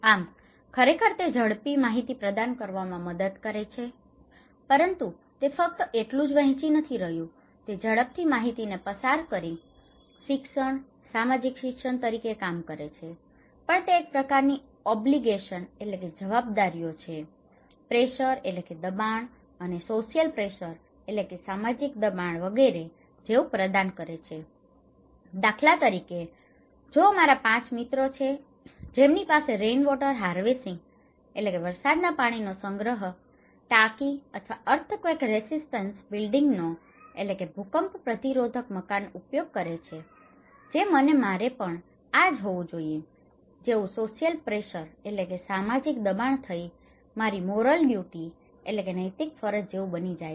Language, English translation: Gujarati, So, it actually helps to provide faster information, sharing not only that is not only working as the learning, social learning through passing the information very fast but also it provides a kind of obligations, pressure, social pressure, if 5 of my friends are using the rainwater harvesting tank or an earthquake resistant building, it becomes my moral duty or social pressure I feel that I should have also the same